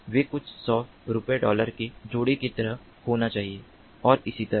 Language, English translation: Hindi, they should be like couple of dollars, few hundred rupees and so on